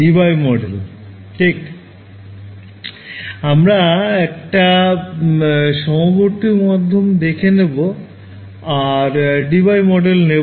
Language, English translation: Bengali, Debye Debye model right; so, we looked at dispersive media and in that we took the Debye model right